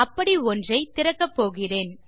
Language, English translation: Tamil, Were going to open one here